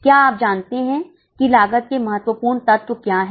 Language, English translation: Hindi, Do you know what are the important elements of cost